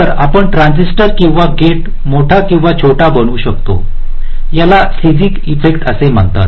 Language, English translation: Marathi, so you can make a transistor or a gate bigger or smaller